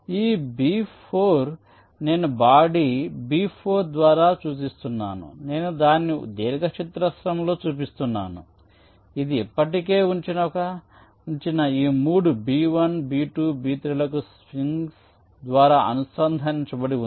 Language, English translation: Telugu, ok, so this b four, i am denoting by a body, b four, i am showing it in a rectangle which, as if is connected by springs to these three already placed blocks: b one, b two, b three